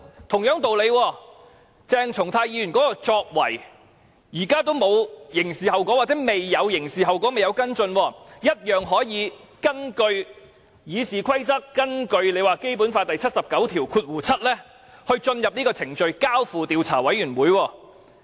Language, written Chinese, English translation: Cantonese, 同樣道理，鄭松泰議員的作為至今仍未有刑事後果，仍未跟進，謝偉俊議員卻可以引用《議事規則》和《基本法》第七十九條第七項下的程序，交付予調查委員會處理。, By the same logic so far Dr CHENG Chung - tais behaviour has not entailed any criminal consequences and has not been followed up yet Mr Paul TSE can invoke the procedure under RoP and Article 797 of the Basic Law to refer the matter to an investigation committee . President as such please be prepared to face more challenges